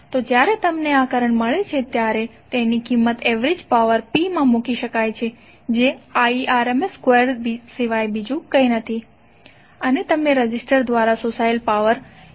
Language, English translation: Gujarati, So when you get this current can simply put the value in the average power P that is nothing but Irms square of and you will get the power absorbed by the resistor that is 133